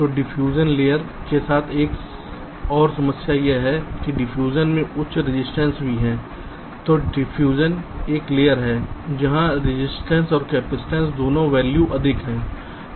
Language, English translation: Hindi, so diffusion is one layer where both the resistance and the capacitance values are higher